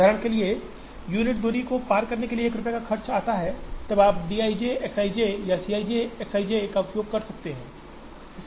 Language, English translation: Hindi, For example, it costs 1 rupee to transport the unit distance then you can use d i j X i j or C i j X i j